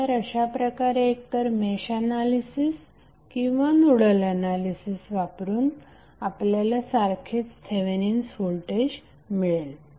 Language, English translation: Marathi, So in that way either you apply Mesh analysis or the Nodal analysis in both way you will get the Thevenin voltage same